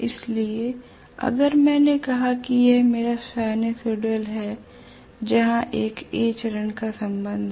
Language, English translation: Hindi, So if I have let us say this is my sinusoidal wave as far as A phase is concerned